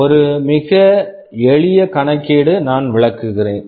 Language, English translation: Tamil, Just a very simple calculation I am just illustrating